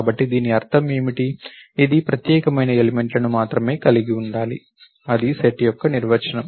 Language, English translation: Telugu, So, what is it mean, it only should consist of unique elements, that is the definition of a set